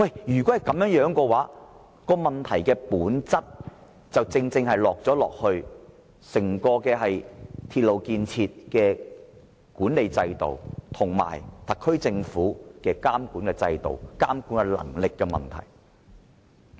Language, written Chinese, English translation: Cantonese, 如他們所說屬實，問題本身正正在於整個鐵路建設的管理制度及特區政府的監管制度，涉及監管能力的問題。, If what they said is true the problem is precisely related to the management system of the entire railway project and the monitoring system of the SAR Government which is a matter of supervisory ability